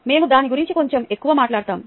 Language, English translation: Telugu, ok, we will talk a little more about that